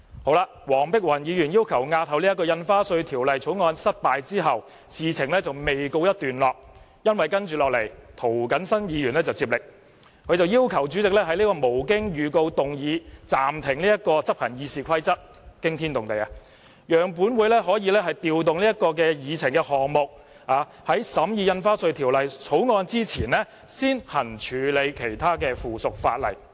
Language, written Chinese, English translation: Cantonese, 在黃碧雲議員要求押後《條例草案》失敗後，事情仍未告一段落，涂謹申議員接力，要求主席讓他無經預告動議暫停執行《議事規則》的議案——驚天動地——讓本會可以調動議程項目，在審議《條例草案》前先處理附屬法例。, After Dr Helena WONGs request to postpone the scrutiny of the Bill was rejected the story did not end . Mr James TO took the turn and sought the consent of the President to move without notice a motion which had the effect of suspending a Rule . This startling move sought to rearrange the order of agenda items so that the subsidiary legislation would be handled before the Bill